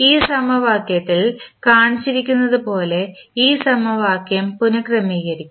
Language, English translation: Malayalam, We have to construct, we have to rearrange this equation as shown in this equation